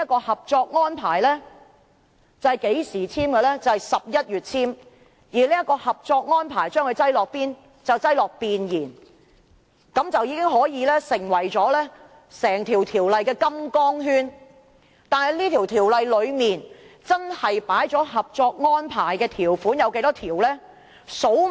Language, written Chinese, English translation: Cantonese, 《合作安排》在去年11月簽署，並被放在《條例草案》的弁言中，便成為整項《條例草案》的金剛圈，但《條例草案》真正收納了《合作安排》多少項條款？, The Co - operation Arrangement signed in November last year is now incorporated in the Preamble of the Bill which acts as the straitjacket restraining the whole Bill . How many articles of the Co - operation Arrangement have been incorporated in the Bill?